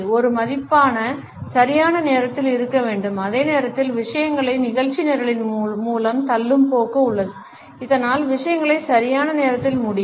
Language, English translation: Tamil, Punctuality as a value has to be there and at the same time there is a tendency to push things through the agenda so, that things can end on time